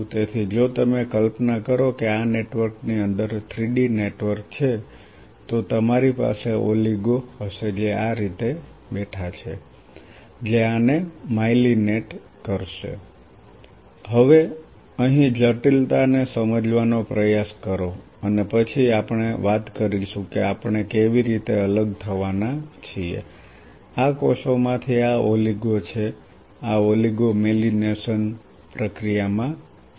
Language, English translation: Gujarati, So, if you imagine this is the three D network within this network you will have oligos which are sitting like this, which will be myelinating this, now try to understand the complexity here and then we will talk about how we are going to separate out these cells these are the oligos these oligos are involved in the myelination process